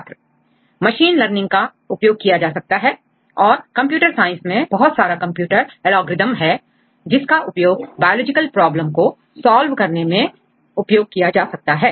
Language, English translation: Hindi, Machine learning can be used probably and in computer science, there are a lot of computer algorithms have been used for solving the biological problems